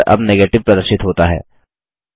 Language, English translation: Hindi, The result which is displayed now is Negative